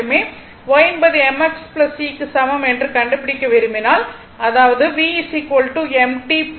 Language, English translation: Tamil, You have to make it y is equal to mx plus c